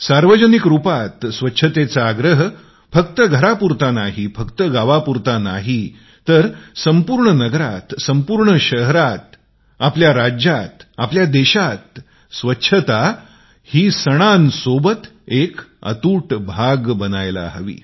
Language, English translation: Marathi, Public cleanliness must be insisted upon not just in our homes but in our villages, towns, cities, states and in our entire country Cleanliness has to be inextricably linked to our festivals